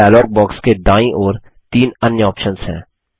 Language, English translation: Hindi, There are three more options on the right hand side of the dialog box